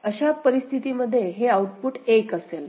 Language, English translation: Marathi, So, under this condition only the input, output is 1